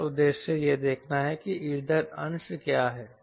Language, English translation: Hindi, our aim is to see what is the fuel fraction